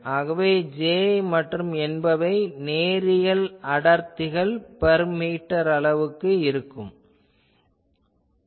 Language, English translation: Tamil, So, let me say will J and M linear densities per meter quantities